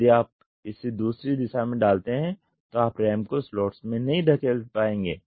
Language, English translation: Hindi, If you do it in the other direction you will not be able to push the ram into the slots